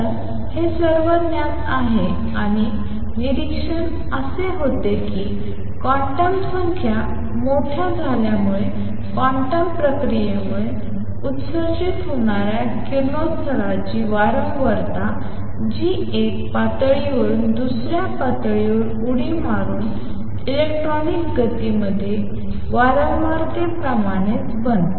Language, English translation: Marathi, So, this is well known and what the observation was that as quantum numbers become large the frequency of radiation emitted due to quantum process that is by jumping of an electron from one level to the other becomes the same as the frequency in classical motion let us see that